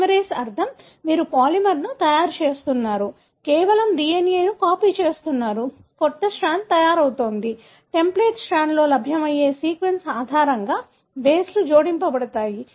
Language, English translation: Telugu, Polymerase meaning, you are making a polymer, simply copying the DNA, a new strand is being made, bases are added based on the sequence that is available in the template strand